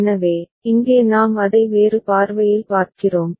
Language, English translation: Tamil, So, here we are seeing it in a different point of view